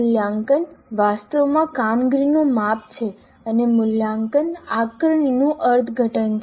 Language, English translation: Gujarati, Now assessment actually is a measure of performance and evaluation is an interpretation of assessment